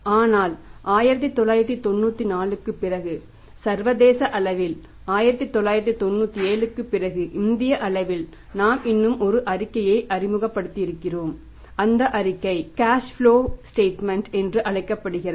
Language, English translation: Tamil, But after 1994 at the international level and after 1997 at the Indian level or at the level of India we introduce one more statement and that statement is called as the cash flow statement